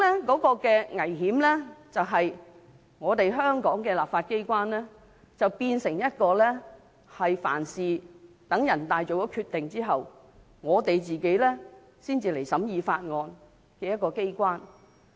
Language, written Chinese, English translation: Cantonese, 產生的危險是，香港的立法機關變成凡事需待人大常委會作出決定後，才審議法案的機關。, This will produce the risk that the legislature of Hong Kong will only scrutinize a bill after a decision has been made by NPCSC